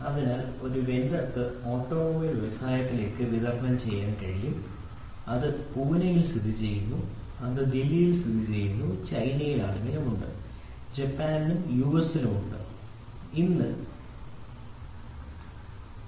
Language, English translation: Malayalam, So, a vendor can supply to automobile industry which is located in Pune, which is located in Delhi, which is also located in China, which is located in Japan and US